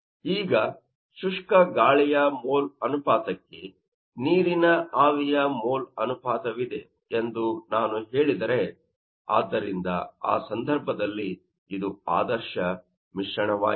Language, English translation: Kannada, Now, if I say that that there is a mole ratio of water vapor to you know mole ratio of the dry air